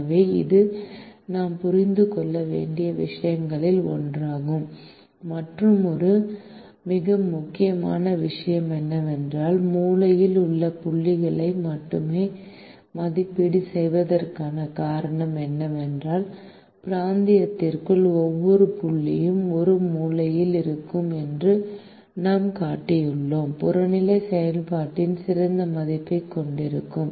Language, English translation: Tamil, the other most important thing, where the reason for which we evaluate only the corner points is that we have shown that every point inside the region, there will be a corner point which will have a better value of the objective function